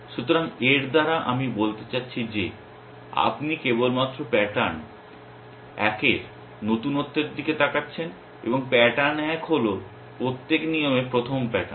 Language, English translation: Bengali, So, by this I mean that you are only looking at the recency of the pattern one and pattern one is the first pattern in a every rule essentially